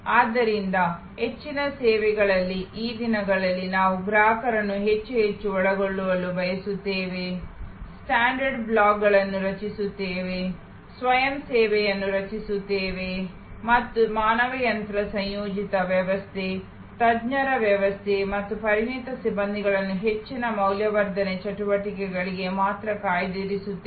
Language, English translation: Kannada, So, in most services, these days we would like to involve the customer more and more, create standard blocks, create self service and reserve the human machine composite system, expert system and expert personnel only for higher value adding activities